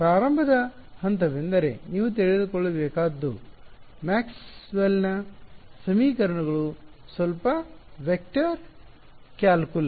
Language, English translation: Kannada, Starting point all you need to know is Maxwell’s equations little bit of vector calculus